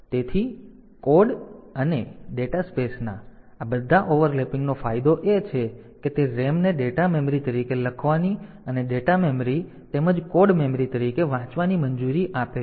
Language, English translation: Gujarati, So, what is the advantage first of all this overlapping of code and dataspace is it allows the RAM to be written as data memory, and read as the data memory as well as code memory